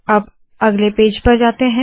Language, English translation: Hindi, So lets go to the next page